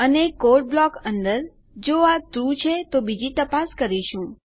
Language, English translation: Gujarati, And inside our block of the code if this is TRUE we will perform another check